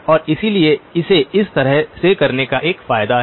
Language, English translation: Hindi, And therefore there is an advantage to doing it in this fashion